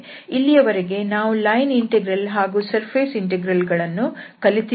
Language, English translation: Kannada, So, so far we have learned the line integrals and the surface integral